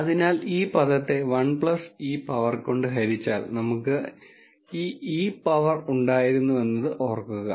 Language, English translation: Malayalam, So, remember we had this e power this term divided by 1 plus e power this term right here